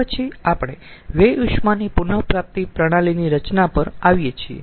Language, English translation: Gujarati, then we come to the design of waste heat recovery system